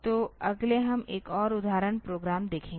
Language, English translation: Hindi, So, next we will look into another example program